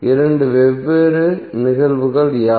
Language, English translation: Tamil, What are the two different cases